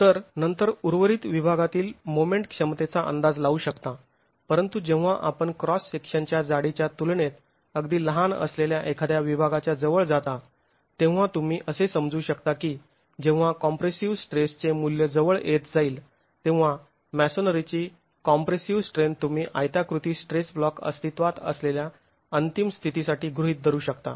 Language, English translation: Marathi, So you can then estimate the moment capacities for the remaining section but as you go close to a section which is very small in comparison to thickness of the cross section you can assume that the when the value of the compressor stress approaches the compressor strength of masonry, you can start assuming for the ultimate condition that a rectangular stress block is present and that is what is going to give you the moment capacity in the wall and the axle load capacity